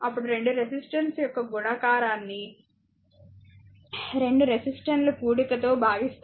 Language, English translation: Telugu, Then product of 2 resistance divided by the sum of the 2 resistance, right